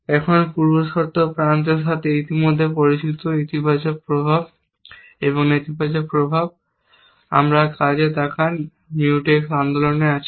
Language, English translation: Bengali, Now, already familiar with the precondition edges, the positive effects and the negative effects we look at work Mutex is in the movement